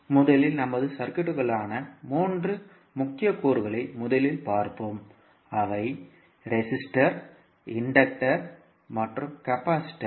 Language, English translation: Tamil, So, let us first see the three key elements which we generally have in our circuit those are resisters, inductors and capacitors